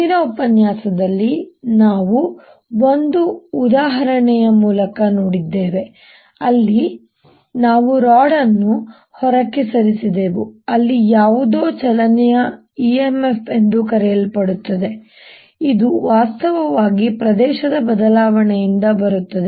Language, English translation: Kannada, in this previous lecture we saw through an example where we moved a rod out that there was something further motional e m f which actually comes from change of area